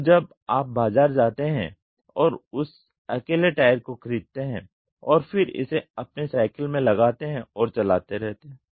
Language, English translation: Hindi, So, you go to the market and buy that alone and then fix it in your cycle and keep moving